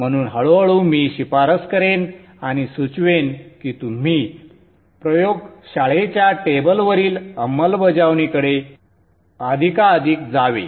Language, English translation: Marathi, So gradually I will recommend and suggest that you should go more and more towards implementing on a lab table